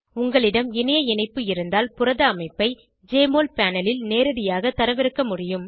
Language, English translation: Tamil, If you are connected to Internet, you can directly download the protein structure on Jmol panel